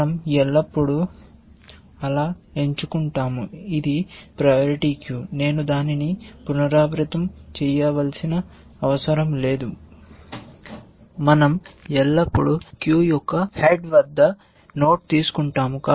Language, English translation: Telugu, We always pick so, it is a priority queue, I do not need to repeat that, we always take the node at the head of the queue